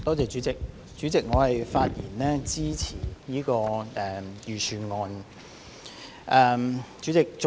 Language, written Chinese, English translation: Cantonese, 代理主席，我發言支持這份財政預算案。, Deputy President I speak in support of this Budget